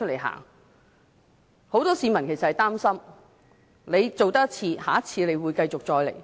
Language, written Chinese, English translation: Cantonese, 很多市民也擔心，政府這次這樣做，下次也會這樣做。, Many people are worried that after our Government has done this it will make similar move next time